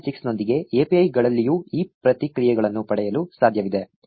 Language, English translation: Kannada, 6 of the API, it is possible to get these reactions on the APIs as well